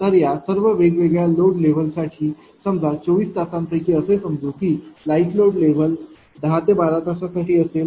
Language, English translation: Marathi, So, all this different load level suppose your light load level out of 24 hours; suppose 10 to 12 hours if it is happening the light load level